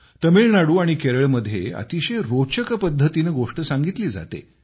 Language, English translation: Marathi, In Tamilnadu and Kerala, there is a very interesting style of storytelling